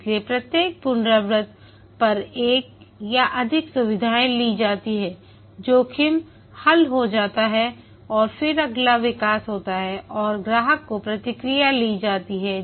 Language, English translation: Hindi, So, over each iteration one or more features are taken up, the risk is resolved and then the next development occurs and customer feedback